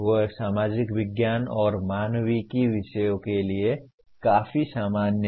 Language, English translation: Hindi, They are quite common to subjects in social sciences and humanities